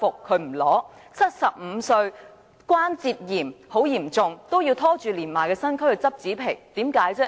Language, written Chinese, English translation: Cantonese, 她75歲，患有嚴重關節炎，還要拖着年邁的身軀去拾紙皮，為甚麼？, At 75 years of age and suffering from acute arthritis why does she still drag her aged body out to collect cardboards?